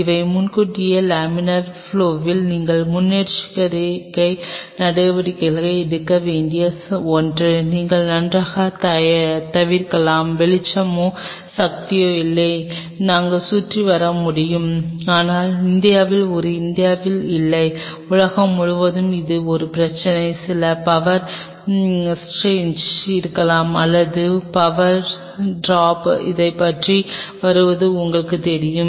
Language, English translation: Tamil, These are something which you have to take precautions well in advance laminar flow it you can avoid fine there is no light or no power we can get around, but in India this is not on the India, I mean across the world this is a problem there may be certain power serge or certain you know power drop how get around it